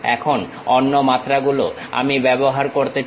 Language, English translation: Bengali, Now, other dimensions I would like to use